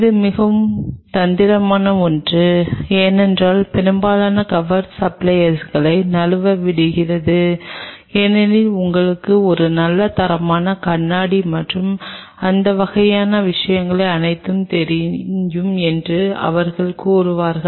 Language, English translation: Tamil, This is something very tricky because most of the cover slips suppliers they will claim that you know a very good quality glass and all these kinds of things